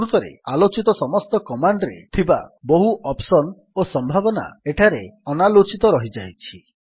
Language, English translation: Odia, In fact, even for all the commands discussed there are many options and possibilities untouched here